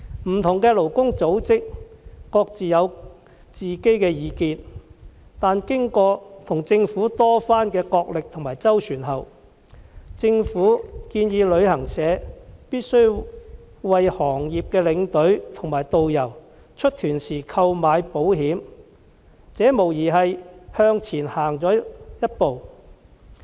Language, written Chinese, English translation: Cantonese, 不同的勞工組織各有自見，但經過與政府的多番角力和周旋後，政府建議旅行社必須為行業的領隊和導遊於出團時購買保險，無疑是向前走了一步。, While there were divergent views among different labour organizations after much arm - wrestling and manoeuvres with labour organizations the Government has proposed that travel agents must take out insurance for tour escorts and tourist guides before the departure of package tours . This is undoubtedly a step forward